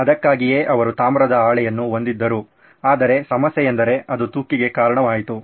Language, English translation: Kannada, So that is why they had a copper sheet but problem was that it led to corrosion